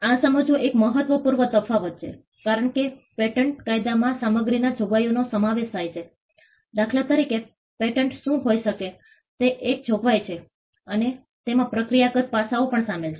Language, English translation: Gujarati, This is an important distinction to understand because patent law comprises of stuff substantive provisions for instance what can be patented is a substantive provision and it also comprises of procedural aspects